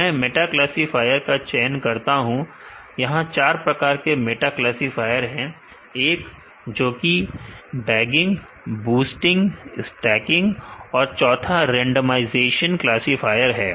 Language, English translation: Hindi, Let me choose a meta classifier there are 4 types of meta classifier one which does bagging, boosting and there is a stacking, the other type is a randomized randomization classifier